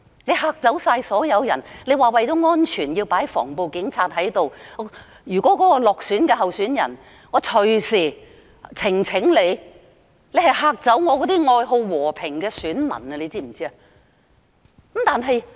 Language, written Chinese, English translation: Cantonese, 你嚇走所有人——你聲稱為了安全而派駐防暴警察到各投票站——落選候選人隨時提出選舉呈請，指你嚇走了愛好和平的選民，你知道嗎？, You claim that for safety sake anti - riot police officers will be deployed to various polling stations . But it may end up inducing election petitions from candidates who lose the election on the ground that you have scared away those voters who long for peace . Do you realize that?